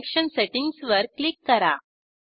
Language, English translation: Marathi, Click on Connection Settings